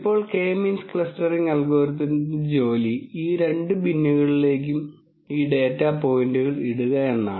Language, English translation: Malayalam, Now the job of K means clustering algorithm would be to put these data points into these two bins